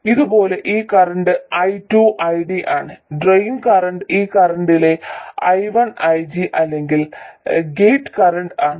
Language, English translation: Malayalam, Similarly, this current I2 is ID, the drain current, current I1 is IG or the gate current